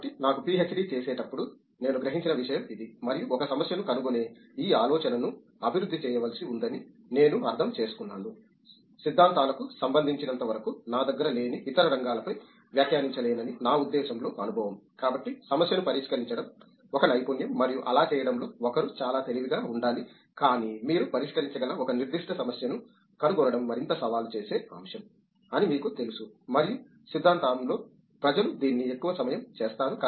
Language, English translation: Telugu, So, that is something I realized while doing you know PhD and also I understood that one has to develop this idea of finding a problem, as far as theories concerned I mean I can’t comment on other fields which I have don’t have experience in, so solving a problem is a skill and one has to be really smart in doing that, but may be you know a more challenging aspect is to find a particular problem which you can solve and people in theory most of the time do this